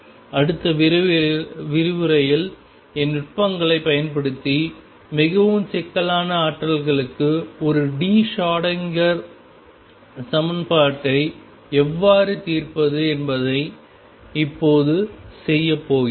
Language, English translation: Tamil, And in the next lecture now we are going to do how to solve the one d Schrodinger equation for more complicated potentials using numerical techniques